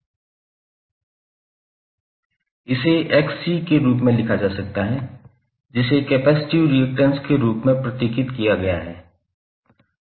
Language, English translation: Hindi, So what will write this this will simply write as Xc which is symbolized as capacitive reactance